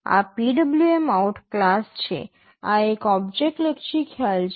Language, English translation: Gujarati, This PwmOut is the class; this is an object oriented concept